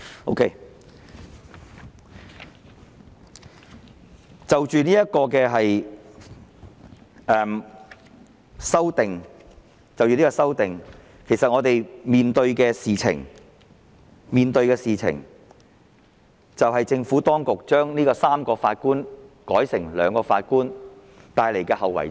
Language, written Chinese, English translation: Cantonese, 好的，就着這項修正案，其實我們所面對的問題，就是政府當局把上訴法庭3名法官改成兩名所帶來的後遺症。, Fine . Regarding this amendment the problem is that the Administrations proposal of allowing a two - Judge CA to replace a three - Judge CA will bring undesirable consequences